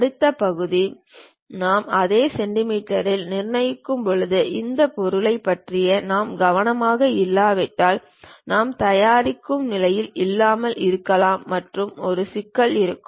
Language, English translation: Tamil, The next part when we are constructing it in centimeters, if we are not careful enough these objects we may not be in a position to make and there will be a problem